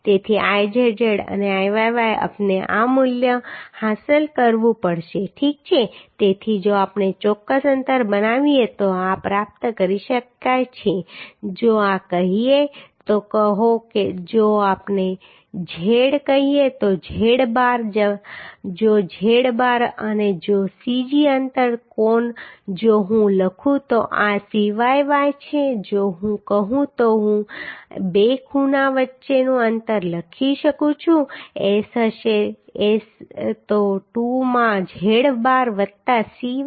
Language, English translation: Gujarati, 03 into 10 to the power 6 millimetre to the So Izz and Iyy we have to achieve this value okay so this can be achieved if we make a particular spacing say if this is say if we make say z say z bar right if z bar and if the Cg distance of angle if I write this is Cyy if I say then I can write spacing between two angles S will be S will be 2 into z bar plus Cyy right So the spacing between two angles in both the direction has to be z bar plus Cyy into 2 Now to find out z bar we can find out the means we can equate the Izz and Iyy so if we equate the Izz and Iyy we can write 90